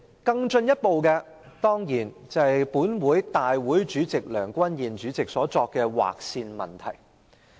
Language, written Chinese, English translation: Cantonese, 更進一步的問題，當然是立法會主席梁君彥議員所作的"劃線"決定。, A further problem is of course the decision made by the President of the Legislative Council Mr Andrew LEUNG to draw the line